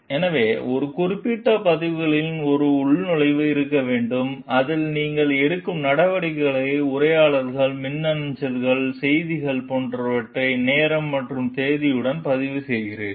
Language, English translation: Tamil, So, the records it mentions should include a log in which you record the steps that you take that is conversations, emails, messages etcetera, with time and date